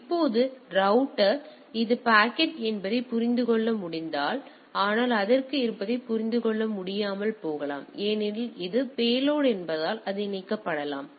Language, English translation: Tamil, Now, the if the router it may understand this is the packet, but it may not be able to decipher what is inside because that is the payload it may be encapsulated